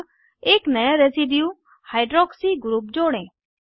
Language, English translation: Hindi, Lets now add a new residue Hydroxy group